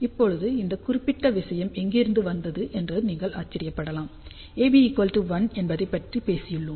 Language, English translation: Tamil, Now, you might wonder from where this particular thing has come, we talked about A beta equal to 1